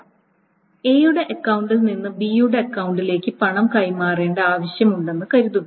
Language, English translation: Malayalam, So, suppose this transfer of money from A's account to B's account